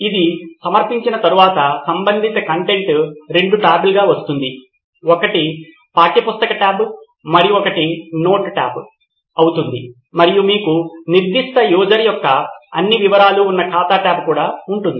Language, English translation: Telugu, Once its submitted the relevant content will be available as two tabs, one will be a textbook tab and one will be a note tab and you will also have an account tab which has all the details of that particular user